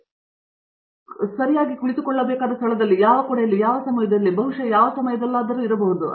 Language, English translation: Kannada, So, we know exactly where we need to be sitting in, which room, in which seat, perhaps at which time and so on